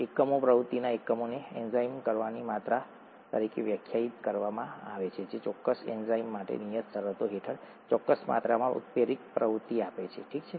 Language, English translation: Gujarati, Units, a Unit of activity is defined as the amount of enzyme which gives a certain amount of catalytic activity under a prescribed set of conditions for that particular enzyme, okay